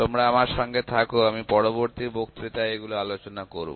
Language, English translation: Bengali, So, please bear with me we will discuss this in the next lecture